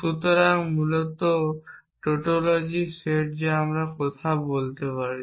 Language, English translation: Bengali, So, basically the set of tautologies that we can talk about